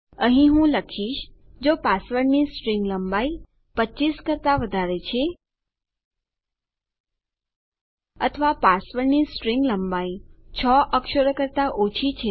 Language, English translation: Gujarati, Here I will say if the string length of the password is greater than 25 or string length of our password is lesser than 6 characters...